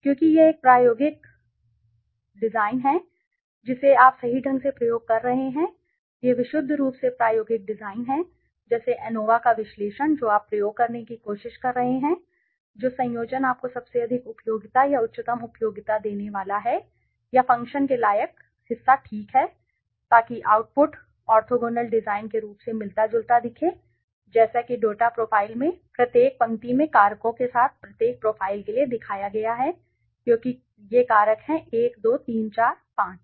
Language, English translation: Hindi, Because it is an experimental design correct you are experimenting this is purely the experimental design like ANOVA analysis of variance you are trying to experiment which combination is going to be the most give you the highest worth utility or highest utility or part worth function ok so orthogonal and click ok so the output resembles the look of the orthogonal design as shown in the data editor one row for each profile with the factors as the columns so the factors are these are the factors 1 2 3 4 5